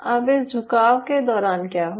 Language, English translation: Hindi, now, during this bending, what will happen